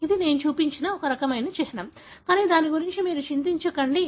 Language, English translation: Telugu, So, this is a kind of symbol that I have shown, but let us not worry about it